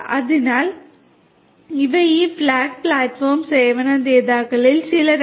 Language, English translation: Malayalam, So, these are some of these fog platform service providers